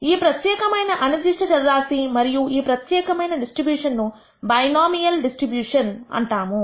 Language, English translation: Telugu, For this particular random variable and this particular distribution is called a binomial distribution